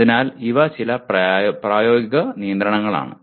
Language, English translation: Malayalam, So these are some practical constraints